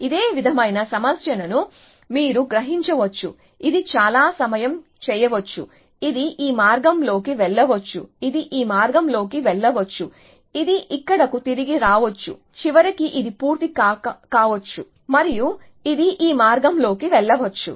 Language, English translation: Telugu, So, you can sense a similar problem as in that it may do this many time, it may go down this path, it may go down this path, it may come back here, eventually it may finish this and it may go down this path